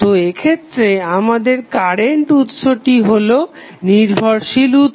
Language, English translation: Bengali, So, here in this case we have the current source which is dependent